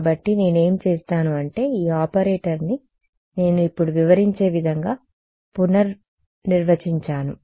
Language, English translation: Telugu, So, what I do is I redefine this operator itself ok, in a way that I will describe right now